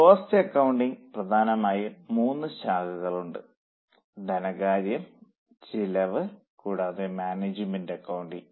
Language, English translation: Malayalam, There are three major streams, financial cost and management accounting